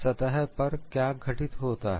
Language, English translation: Hindi, On the surface what happens